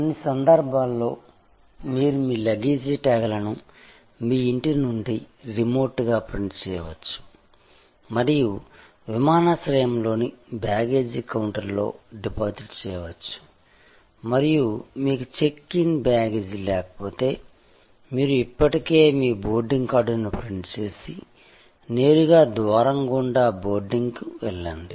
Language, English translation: Telugu, In some cases, you can print out your luggage tags remotely from your home and just deposited at the baggage counter at the airport and if you do not have check in baggage, you have already printed your boarding card, use straight go to the boarding gate